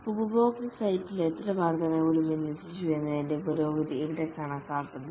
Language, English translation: Malayalam, Here the progress is measured in how many increments have been deployed at customer site